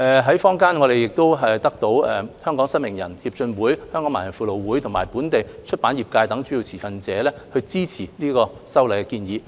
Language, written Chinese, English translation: Cantonese, 在坊間，我們得到香港失明人協進會、香港盲人輔導會和本地出版業等主要持份者支持這次修例建議。, In society our legislative proposals have been supported by major stakeholders such as the Hong Kong Blind Union the Hong Kong Society for the Blind and the local publishing industry